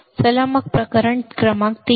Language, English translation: Marathi, Let us consider then case number 3